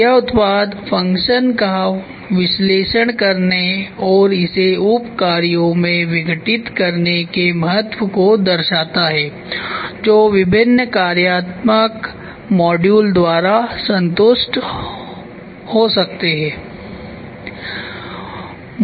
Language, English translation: Hindi, This shows the importance of analysing the product function and decomposing it into sub functions that can be satisfied by different functional modules